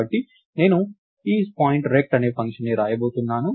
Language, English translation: Telugu, So, I am going to write a function called IsPtInRect